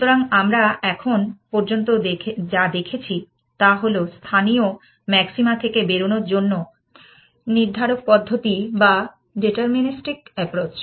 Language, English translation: Bengali, So, what we have seen so far is the deterministic approach to escaping from local maxima